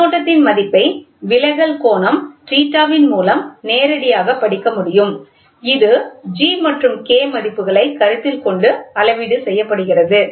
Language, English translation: Tamil, The value of the current can be directly read with respect to the deflecting angle theta which is calibrated by considering the values of G and K